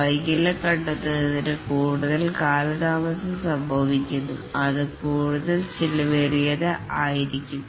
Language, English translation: Malayalam, The more delay occurs in detecting the defect, the more expensive it will be